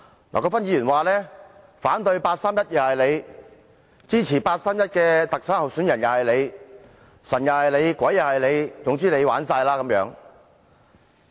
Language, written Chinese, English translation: Cantonese, 劉國勳議員說：反對八三一決定是你，支持八三一決定下的特首候選人也是你，"神又是你，鬼又是你，總之你玩哂啦"。, Mr LAU Kwok - fan says that we are the ones who objected the 31 August Decision and we are also the ones who supported the candidates standing for the Chief Executive Election conducted in accordance with the 31 August Decision . He says that we are sitting on the fence